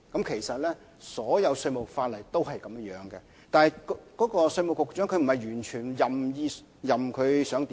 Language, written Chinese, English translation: Cantonese, 其實，稅務法例一向如是，但並不是稅務局局長能夠任意而為。, In fact this has always been the case under tax laws but it does not mean that the Commissioner can do whatever he pleases